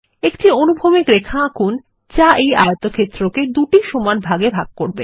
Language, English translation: Bengali, Draw a horizontal line that will divide the rectangle into two equal halves